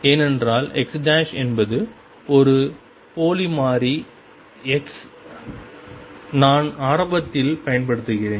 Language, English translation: Tamil, Because x prime is a dummy variable x I am using earliest